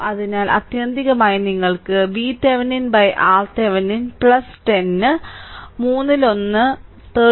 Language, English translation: Malayalam, So, ultimately you will get V Thevenin by R Thevenin plus 10 right is equal to one third 13